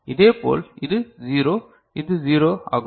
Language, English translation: Tamil, Similarly, over this is 0, this is 0